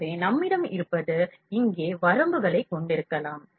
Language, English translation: Tamil, So, what we have we can have the limits here